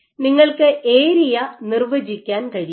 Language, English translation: Malayalam, So, you can define area